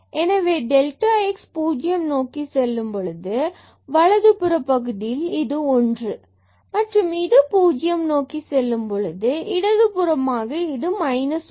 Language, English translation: Tamil, So, if this delta x goes to 0 from the right side then this will be 1 and when it goes to 0 from the left side then this value will become minus 1